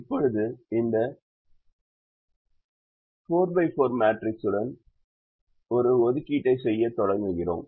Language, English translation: Tamil, now we start making an assignment with this four by four matrix